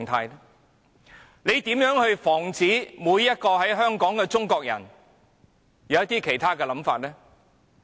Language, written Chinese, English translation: Cantonese, 他們如何可以防止每一個在香港的中國人有其他想法呢？, What kind of a situation is this? . How can they stop every Chinese in Hong Kong from holding other views?